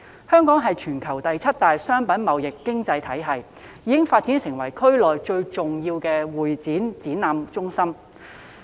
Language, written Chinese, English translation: Cantonese, 香港是全球第七大商品貿易經濟體系，已發展成為區內最重要的會議展覽中心。, Hong Kong is the seventh largest trading entity in merchandise trade globally and has developed into a premier convention and exhibition centre in the region